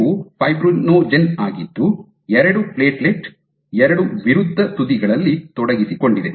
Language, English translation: Kannada, So, these are fibrinogen which is engaged by 2 platelet us that 2 opposite ends